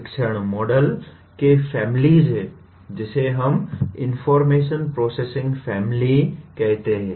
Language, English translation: Hindi, There are families of teaching models, what we call information processing family